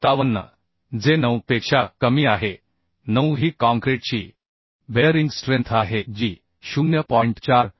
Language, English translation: Marathi, 57 which is less than 9 9 is the bearing strength of the concrete that is 0